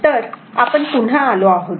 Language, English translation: Marathi, So, we are back again